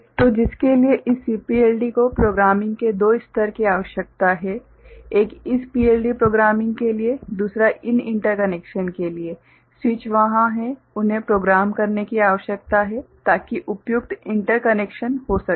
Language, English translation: Hindi, So, for which this CPLD requires two level of programming one is for this PLD programming another is for these interconnections, the switches are there they need to be programmed so that appropriate interconnections are made